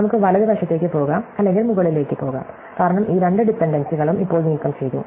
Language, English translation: Malayalam, We can go to the right or we can go up because these two dependencies are now removed